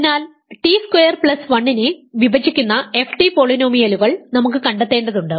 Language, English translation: Malayalam, So, we want to find polynomials f t that divide t squared plus 1 ok